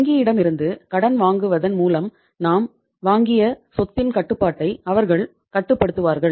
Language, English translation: Tamil, They will control take the control of the asset, any other asset which we have purchased by borrowing money from the bank